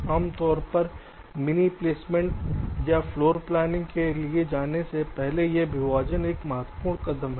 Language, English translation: Hindi, ok, so this partitioning is a important steps before you go for mini placement or floorplanning, typically